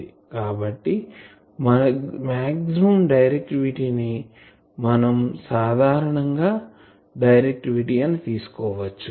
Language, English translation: Telugu, So, maximum directivity is often referred as simply directivity